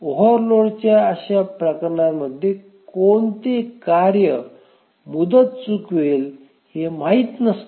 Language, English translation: Marathi, In those cases of transient overload, it is not known which task will miss the deadline